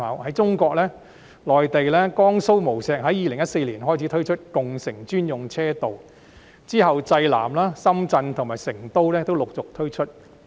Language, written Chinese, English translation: Cantonese, 在中國內地，江蘇無錫在2014年開始推出共乘專用車道，之後濟南、深圳及成都亦陸續推出。, Designated lanes for ride - sharing have been introduced since 2014 in Wuxi Jiangsu of the Mainland followed by Jinan Shenzhen and Chengdu